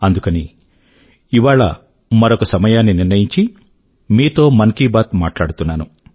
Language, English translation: Telugu, Friends, we have come together, once again, on the dais of Mann Ki Baat